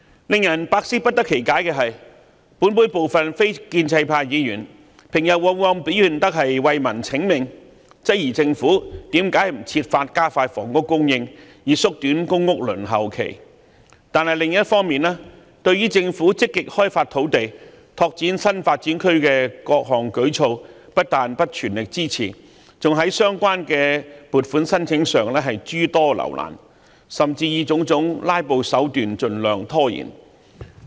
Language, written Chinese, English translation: Cantonese, 令人百思不得其解的是，本會部分非建制派議員平日往往表現得為民請命，質疑政府為何不設法加快房屋供應，以縮短公屋輪候時間，但另一方面對政府積極開發土地、拓展新發展區的各項舉措不但沒有全力支持，還在審批相關撥款申請時諸多留難，甚至以種種"拉布"手段盡量拖延。, What puzzles me tremendously is that some non - establishment Members in the Council who usually claim to strive for the welfare of the public on the one hand challenged the Government and asked why it did not expedite housing supply and shorten the waiting time for public housing while on the other did not support various initiatives proposed by the Government to actively develop land and new development areas . Worse still they created hurdles for funding applications and even procrastinated the process by all kinds of filibustering tactics